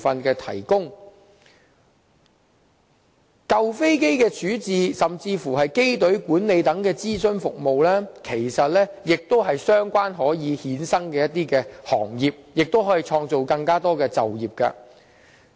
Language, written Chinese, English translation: Cantonese, 而舊飛機的處置，甚至是機隊管理等的諮詢服務，其實亦可成為相關衍生行業，為社會創造更多就業機會。, As for the advisory services on disposal of old aircrafts and aircraft fleet management they can actually become ancillary trades and help create employment opportunities for our community